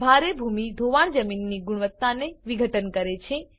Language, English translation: Gujarati, Heavy soil erosion had degraded the land quality